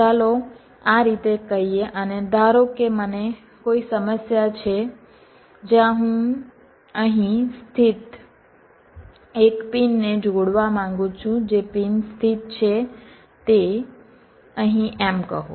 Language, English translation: Gujarati, let say like this: and suppose i have a problem where i want to connect a pin which is located here to a pin which is located, say, here